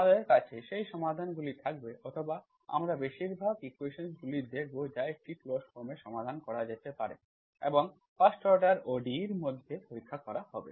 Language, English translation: Bengali, So those are the questions for which you can solve completely, we will have those solutions or we will look at most of the equations that can be solved in a closed form will be tested this 1st order ODE